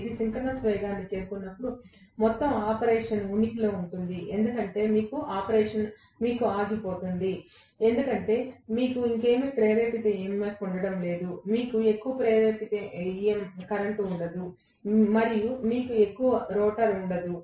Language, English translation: Telugu, When it reaches synchronous speed, the entire operation will seize to exist, it will stop because you are not going to have any more induced EMF, you are not going to have any more induced current, and you are not going to have any more rotor flux all that completely disappears